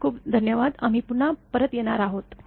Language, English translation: Marathi, Thank you very much, we will be back again